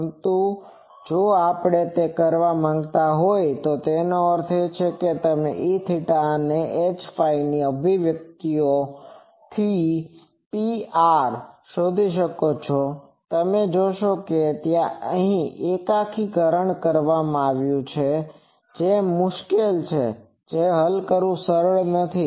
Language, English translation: Gujarati, But, if we want to do that; that means you find the P r from those E theta H phi expressions, you will see that there will be an integration coming which is not so easy to solve which a cumbersome thing